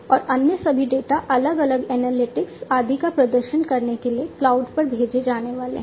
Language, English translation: Hindi, And all the other data are going to be sent to the cloud for performing different analytics and so on at the cloud